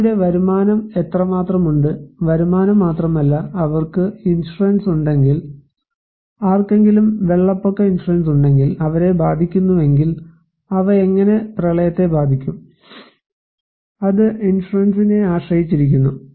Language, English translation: Malayalam, How much the person's income has, not only income, but also if they have insurance like if someone has flood insurance so if they are affected, and how they will be impacted by the flood, it depends on insurance